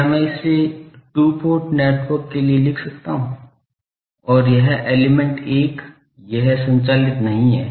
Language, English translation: Hindi, Can I write this for a two port network and, and this element 1, it is not driven